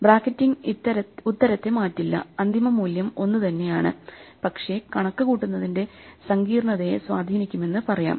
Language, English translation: Malayalam, So, the bracketing does not change the answer the final value is the same, but it turns out that it can have dramatic effects on the complexity of computing the answer